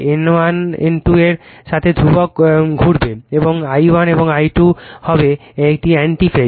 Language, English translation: Bengali, N 1 N 2 the constant with it turns, right and I 1 and I 2 will be an anti phase